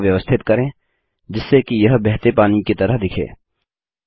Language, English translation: Hindi, Lets adjust the curve so that it looks like flowing water